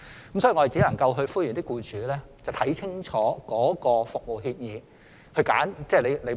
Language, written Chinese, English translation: Cantonese, 所以，我們只能夠呼籲僱主看清楚服務協議後才揀選職業介紹所。, Therefore we can only call on employers to read the service agreement carefully before choosing EAs